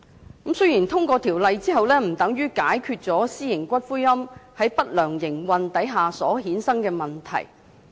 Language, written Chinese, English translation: Cantonese, 雖然《條例草案》通過之後，不等於私營龕場在不良營運下所衍生的問題就得到解決。, The passage of the Bill does not automatically solve the problems arising from the ill - operated private columbaria